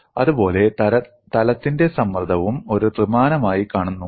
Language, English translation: Malayalam, Similarly, the plane stress also looks as a three dimensional one